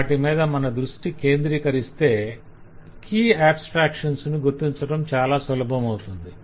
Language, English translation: Telugu, if you focus on those, it will become usually easy to identify the key abstractions